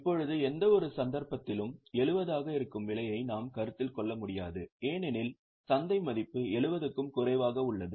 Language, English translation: Tamil, Now, see, in any case, the cost which is 70, we will not be able to consider because the market value is less than 70